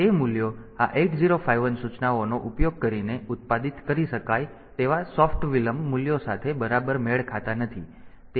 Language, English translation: Gujarati, So, those values may not match exactly with the soft delay values that can be produced using these 8051 instructions